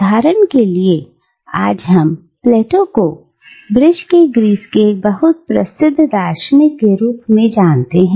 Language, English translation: Hindi, So for instance today, we know Plato as a very famous philosopher from Greece